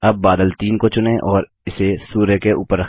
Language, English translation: Hindi, Now lets select cloud 3 and place it above the sun